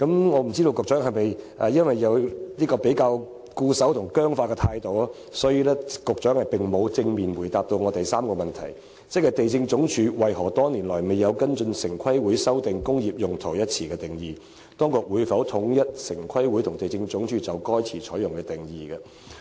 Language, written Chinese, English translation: Cantonese, 我不知道局長的態度是否較為固守及僵化，所以並無正面答覆我的主體質詢第三部分的提問，即"地政總署為何多年來未有跟隨城規會修訂'工業用途'一詞的定義；當局會否統一城規會和地政總署就該詞採用的定義"。, Maybe the Secretary is rather conservative and rigid in his attitude such that he did not answer directly to part 3 of my main question . I asked him to inform this Council of the reasons why LandsD has not followed TPBs practice in amending the definition of the term industrial use over the years; whether the authorities will align the definitions adopted by TPB and LandsD for the term